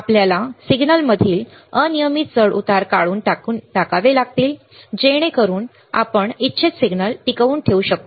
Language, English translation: Marathi, We have to remove the unwanted fluctuation in the signal, so that we can retain the wanted signal